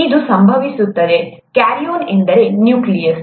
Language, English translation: Kannada, It so happens, karyon means nucleus